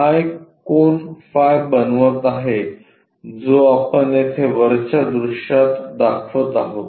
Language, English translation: Marathi, This one is making an angle phi which we represent it here in the top view